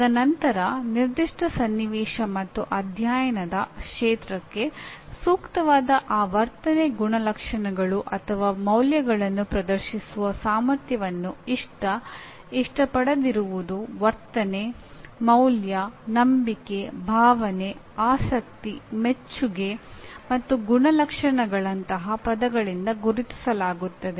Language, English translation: Kannada, And then ability to demonstrate those attitudinal characteristics or values which are appropriate to a given situation and the field of study are identified by words such as like you use the words like, dislike, attitude, value, belief, feeling, interest, appreciation, and characterization